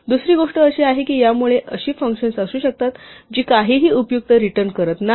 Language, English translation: Marathi, The other thing is that because of this there may be functions which do not return anything useful at all